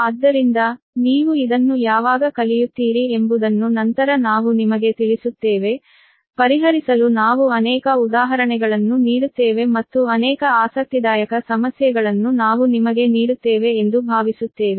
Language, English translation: Kannada, so many examples later we will, you know, when you will learn this, we will give many example to solve and hopefully, uh, many interesting problems